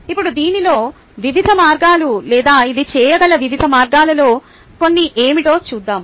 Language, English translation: Telugu, now let us see what are the various ways, or some of the various ways in which this can be done